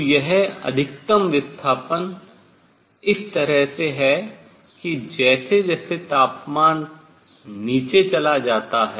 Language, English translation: Hindi, So, this maximum shift in such a way as temperature goes down